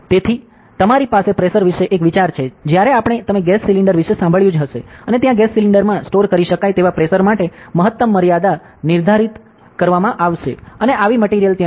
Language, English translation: Gujarati, So, you have an idea about pressure; when we, you must have heard of a gas cylinder and there will be prescribed maximum limit for the pressure that can be stored in a gas cylinder and such stuff are there ok